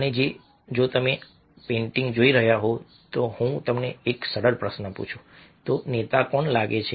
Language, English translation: Gujarati, and if you are looking at the painting, if i ask you a simple question, who seems to be the leader